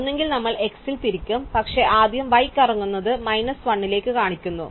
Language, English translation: Malayalam, Either case we rotate at x, but first we rotated y in cases show to minus 1